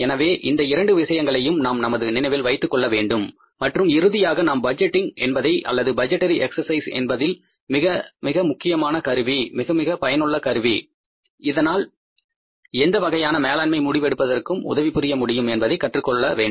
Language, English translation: Tamil, So both of the things we have to keep in mind and we have to finally learn about that budgeting or the budgetary exercise is a very, very important tool, very effective tool which can facilitate any kind of management decision making